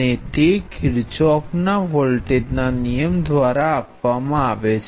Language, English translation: Gujarati, Now what are the conditions under which the Kirchhoff’s voltage law is true